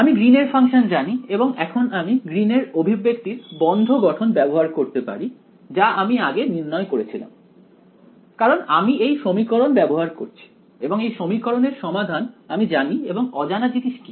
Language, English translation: Bengali, I also know Green's function and now I can use the closed form Green's ex expression which I derived previously why because I am using this equation and I know the solution on this equation and what is unknown